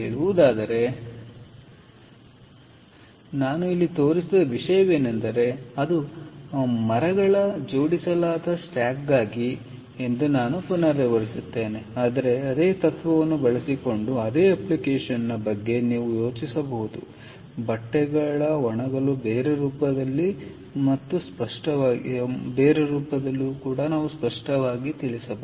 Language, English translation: Kannada, so what i showed here is again i repeat that it is for a stacked stack of timbers, but you can think of a same application using the same principle, maybe in a different form, for drying of paper, drying of fabrics and so on